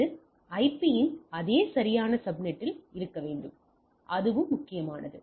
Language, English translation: Tamil, So, it should be in the same proper subnet of the IP that is also important